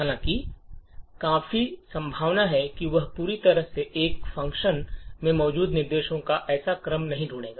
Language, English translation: Hindi, However, quite likely he will not find such a sequence of instructions present completely in one function